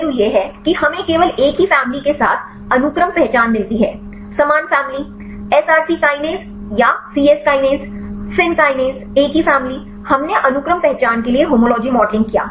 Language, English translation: Hindi, One aspect is we just get the sequence identity with the same family; similar same family; SRC kinase or C Yes kinase; fin kinase same family we did the homology modeling for the sequence identity